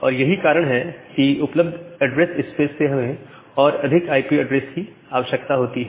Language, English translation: Hindi, And because of that we again require further more number of IP addresses from the available address space